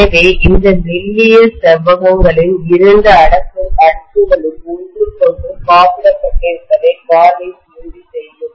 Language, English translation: Tamil, So the varnish will ensure that the two layers of these thin rectangles are insulated from each other